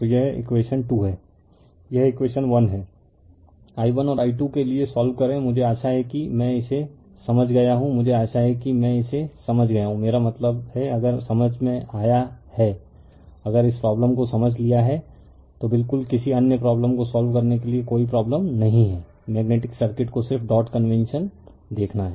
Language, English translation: Hindi, So, this is equation 2, this is equation 1 you solve for i 1 and i 2 right, I hope you have understood this right, I hope you have understood this I mean if you understood, if you have understand this understood this problem then absolutely there is no problem for solving any other problem in magnetic circuit right just you have to see the dot convention